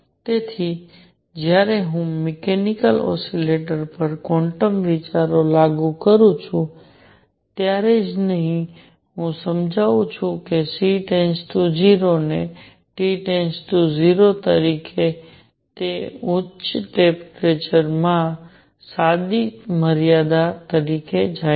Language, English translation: Gujarati, So, not only when I apply quantum ideas to mechanical oscillators, I explain that C goes to 0 as T goes to 0, it also goes to the correct limit in high temperature